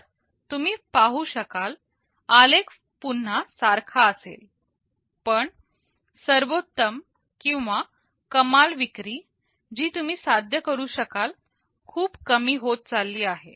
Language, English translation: Marathi, So, you see the curve will be similar again, but the peak or the maximum sale can that you can achieve is becoming much less